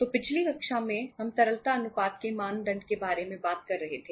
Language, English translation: Hindi, So in previous class we were talking about the say norms of liquidity ratios